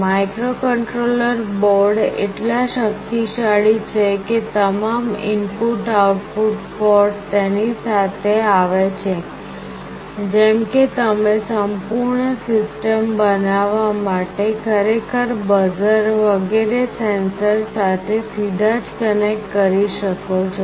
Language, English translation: Gujarati, The microcontroller boards are so powerful that all input output ports come along with it, such that you can actually connect directly with a sensor, with the buzzer etc